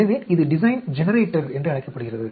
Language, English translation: Tamil, This is my Design Generator